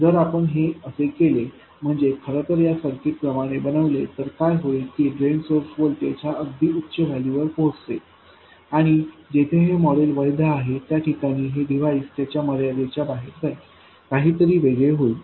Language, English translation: Marathi, If you do in fact make this circuit, what happens is the drain source voltage will reach some very high values and the device will go out of its limits where this model is valid